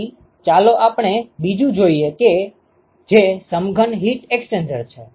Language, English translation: Gujarati, So, now let us look at the second one, which is the compact heat exchanger